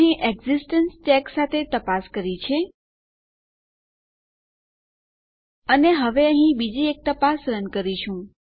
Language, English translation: Gujarati, So here we have checked with an existence check And now here what we will do is run another check